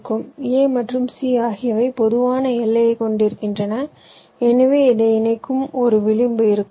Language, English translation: Tamil, a and c is having a common boundary, so there will an edge connecting this